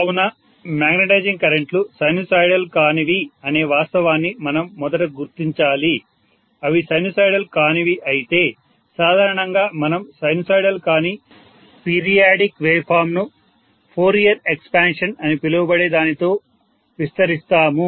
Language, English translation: Telugu, So I am going to have definitely non sinusoidal currents, so I would say that first of all we should recognize the fact that magnetizing currents are non sinusoidal, if they are non sinusoidal generally we actually expand any non sinusoidal periodic waveform by something called Fourier expansion, right